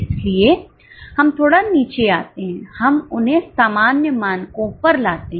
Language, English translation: Hindi, That is why we come, we sort of bring them down to normal standards